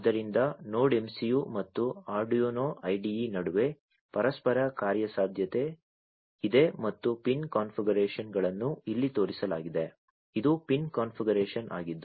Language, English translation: Kannada, So, there is interoperability between the NodeMCU and the Arduino IDE and the pin configurations are shown over here this is the pin configuration